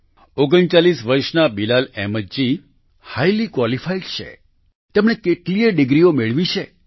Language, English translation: Gujarati, 39 years old Bilal Ahmed ji is highly qualified, he has obtained many degrees